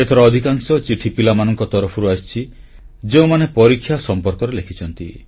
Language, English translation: Odia, This time, maximum number of letters are from children who have written about exams